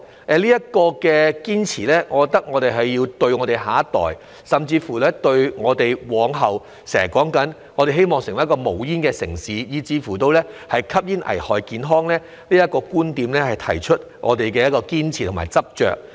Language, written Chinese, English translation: Cantonese, 對於這個堅持，我覺得我們要對得起我們的下一代，並就香港往後要成為一個無煙城市及吸煙危害健康這些我們經常提到的觀點，提出我們的堅持和執着。, Regarding such persistence I believe we must not let our next generation down and also on our oft - mentioned viewpoints about Hong Kong becoming a smoke - free city and smoking being harmful to health affirm our persistence and determination